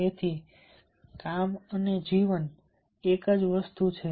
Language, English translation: Gujarati, so therefore, work and life is one make